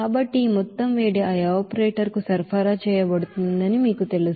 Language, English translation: Telugu, So this amount of heat will be you know supplied to that evaporator